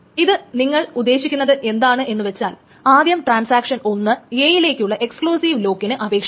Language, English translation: Malayalam, So essentially it means that first the transaction one requests a exclusive lock on A